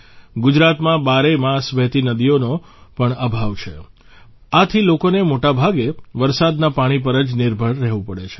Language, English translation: Gujarati, There is also a lack of perennially flowing rivers in Gujarat, hence people have to depend mostly on rain water